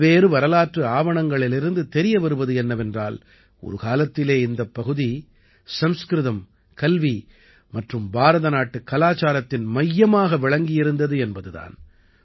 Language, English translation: Tamil, Various historical documents suggest that this region was once a centre of Sanskrit, education and Indian culture